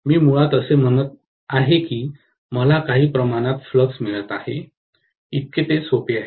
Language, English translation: Marathi, I am basically saying that I am getting a measure of flux, as simple as that, that is all